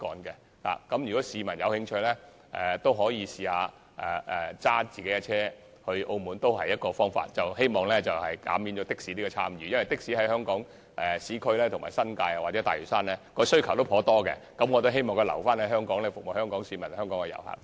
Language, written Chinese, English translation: Cantonese, 如果市民有興趣，亦可以自駕前往澳門，這也是避免乘坐的士的一個方法，因為的士在香港市區、新界或大嶼山的需求頗大，我希望把的士留在香港，服務香港市民和遊客。, If members of the public are interested in driving their own vehicles to Macao they can do so . This is one way to avoid taking a taxi . As the demand for taxis is great in the urban areas of Hong Kong the New Territories and Lantau I hope that taxis can stay in Hong Kong to serve local residents and visitors